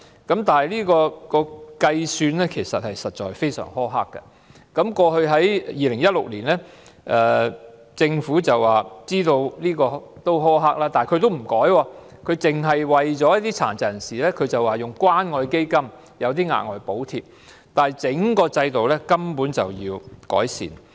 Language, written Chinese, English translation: Cantonese, 但是，制度的計算方法非常苛刻，在2016年政府表示知道計算方法苛刻，但沒有作出修改，只是透過關愛基金向殘疾人士發出額外補貼，但其實整個制度根本需要改善。, However the calculation method under the system is very harsh . The Government stated in 2016 that it was aware of the harsh calculation but fell short of making any revision . All it did was granting additional subsidies to people with disabilities through the Community Care Fund but actually the whole system warrants improvement